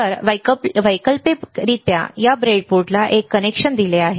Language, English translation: Marathi, So, alternatively there is a connection given to this breadboard